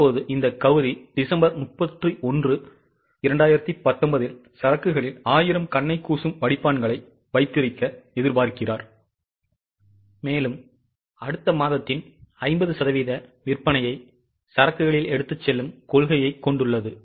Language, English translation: Tamil, Now this Gauri expects to have 1000 glare filters in the inventory at December 31st 2019 and has a policy of carrying 50% of following months projected sales in inventory